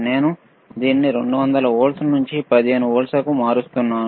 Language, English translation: Telugu, And I am converting this 230 volts to 15 volts or 15 16 volts